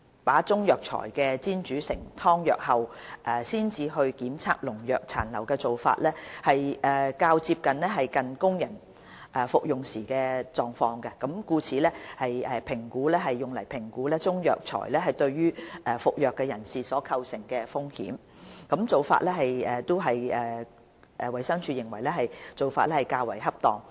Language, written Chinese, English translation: Cantonese, 把中藥材煎煮成湯藥後才檢測農藥殘留的做法，較接近供人服用時的狀況，故此用作評估中藥材對服藥人士所構成的風險，衞生署認為此做法較為恰當。, The testing of pesticide residues in the decoction of Chinese herbal medicines is considered to be a closer simulation of condition during human consumption which is considered by DH to be more appropriate for human risk assessment